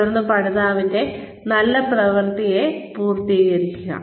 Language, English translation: Malayalam, And then, complement the good work of the learner